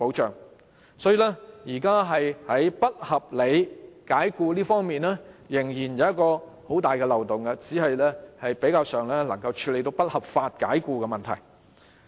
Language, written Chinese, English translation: Cantonese, 所以，《條例草案》現時在不合理解僱方面的保障仍然存有很大的漏洞，只是比較上能處理不合法解僱的問題。, Therefore the Bill still has a very big loophole regarding the protection against unreasonable dismissal just that it is only relatively capable of dealing with unlawful dismissal